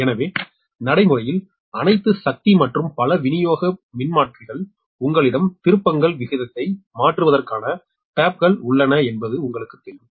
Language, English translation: Tamil, so, practically all pow, all power and many distribution transformer, they have the, you know, ah, they, you have the taps for changing the turns ratio